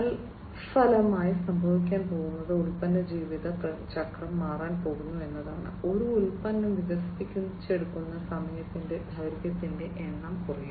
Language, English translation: Malayalam, And consequently what is going to happen is that the product life cycle is also going to be changed, it is going to be lower the number of that the duration of time that a product will be developed over is going to be reduced